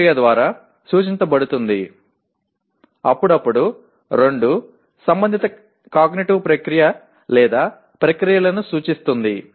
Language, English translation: Telugu, An action is indicated by an action verb, occasionally two, representing the concerned cognitive process or processes, okay